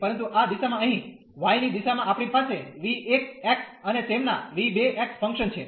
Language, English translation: Gujarati, But, in this direction here in the direction of y we have the functions v 1 x and their v 2 x